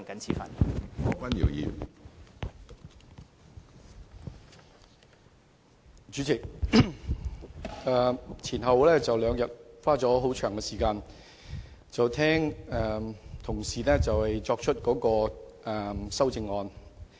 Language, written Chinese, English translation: Cantonese, 主席，前兩天，我花了很長時間聆聽同事提出修正案。, President for two days I have spent long hours listening to the amendments moved by my colleagues